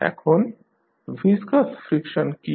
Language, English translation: Bengali, Now, what is viscous friction